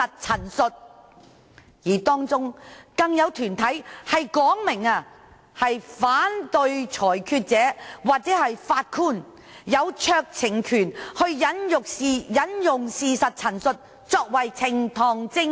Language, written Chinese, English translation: Cantonese, 此外，當中更有團體表示反對裁斷者或法官擁有酌情權以引用事實陳述作為呈堂證供。, Among those organizations some even opposed granting discretionary power to the decision maker or the judge in admitting a statement of fact as evidence